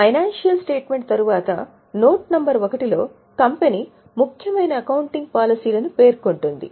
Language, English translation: Telugu, After the financial statement in the note number one, company would have given important accounting policies